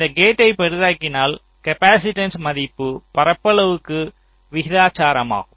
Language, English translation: Tamil, so if i make this gate larger, the value of the capacitance is proportional to the area